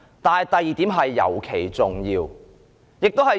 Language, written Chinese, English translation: Cantonese, 但是，第二點尤其重要。, However the second point is especially important